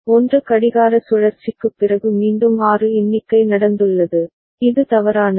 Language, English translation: Tamil, Again a count of 6 has taken place just after 1 clock cycle which is wrong right